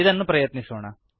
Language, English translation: Kannada, Let us try it